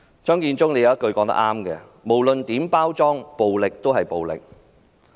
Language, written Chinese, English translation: Cantonese, 張建宗有一句話說得很正確："無論如何包裝，暴力始終是暴力"。, Matthew CHEUNG has made a very correct statement Violence is violence no matter how it is packaged